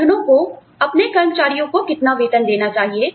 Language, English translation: Hindi, How do organizations, reward their employees